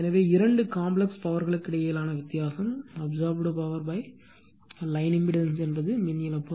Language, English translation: Tamil, So, the difference between the two complex power is the power absorbed by the line impedance that is the power loss right